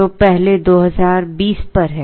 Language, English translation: Hindi, So, the first 2000 is at 20